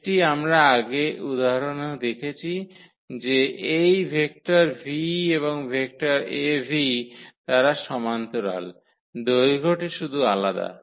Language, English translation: Bengali, This is what we have seen in previous example that this vector v and the vector Av they were just the parallel, the length was different